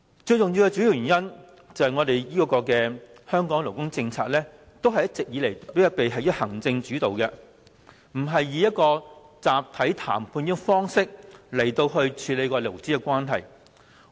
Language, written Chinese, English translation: Cantonese, 主要原因在於香港的勞工政策一直以行政主導，而不是以集體談判的方式來處理勞資關係。, The main reason is that labour policies in Hong Kong have all along been executive - led where labour relations are not addressed through collective bargaining